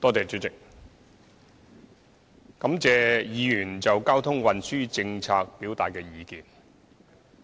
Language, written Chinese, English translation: Cantonese, 主席，我感謝議員就交通運輸政策表達的意見。, President I thank Members for their views on transport policies